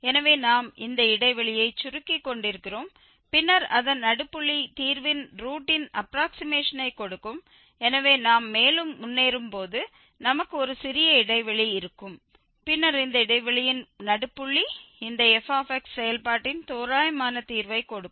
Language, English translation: Tamil, So, we are narrowing down this interval and then the middle point of it will give the approximation of the root so as we proceed further, we will have a very very small interval and then again midpoint of this interval will give the approximate root of this function fx